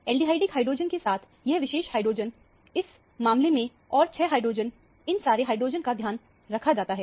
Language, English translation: Hindi, The aldehydic hydrogen plus this particular hydrogen in this case and the 6 hydrogen – all these hydrogens are taken care of